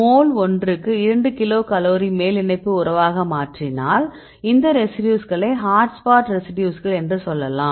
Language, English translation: Tamil, If you change as the binding affinity of more than 2 kilocal per mole then we can say these residues as hot spot residues right